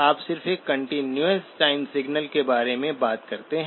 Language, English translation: Hindi, You just talk about a continuous time signal